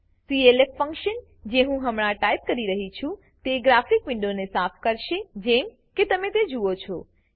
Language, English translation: Gujarati, The clf() function that i am typing now will clear the graphic window as you see